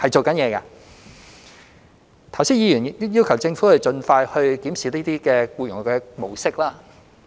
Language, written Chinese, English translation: Cantonese, 剛才議員要求政府盡快檢視這些僱用模式。, Just now Members asked the Government to review these employment patterns as soon as possible